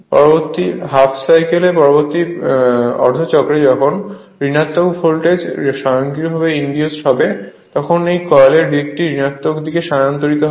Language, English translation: Bengali, As the next half cycle next half cycle when negative voltage will be induced automatically this coil side will be shifted to the negative your negative your negative side right